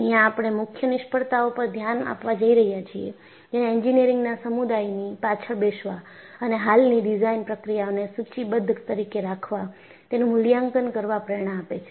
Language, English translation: Gujarati, Now, we are going to look at the key failures that triggered the engineering community to sit back and evaluate the existing design procedures are listed